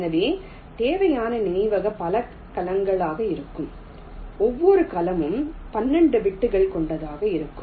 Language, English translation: Tamil, so the memory required will be so many cells, each cell with twelve bits